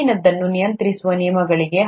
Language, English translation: Kannada, Are there rules that govern the above